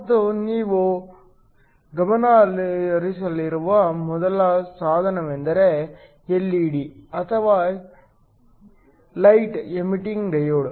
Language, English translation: Kannada, And the first device you are going to focus on is the LED or the light emitting diode